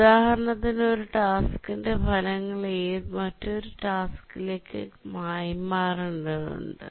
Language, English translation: Malayalam, For example, the results of one task needs to be passed on to another task